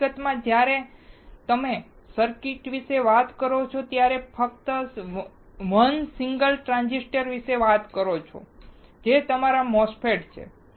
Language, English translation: Gujarati, In fact, when you talk about circuits just talk about 1 single transistor, which is your MOSFETs